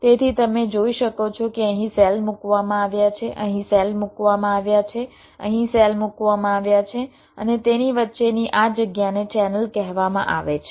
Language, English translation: Gujarati, so you can see that there are cells placed here, cells placed here and this space in between